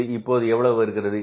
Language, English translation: Tamil, This will come up as how much